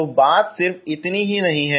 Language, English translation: Hindi, So it is not just this